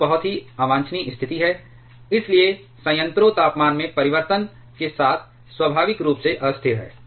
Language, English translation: Hindi, Which is a very much undesirable situation; so, the reactor is inherently unstable with change in temperature